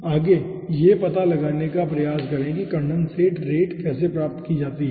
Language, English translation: Hindi, okay, next let us try to find out that how condensate rate can be achieved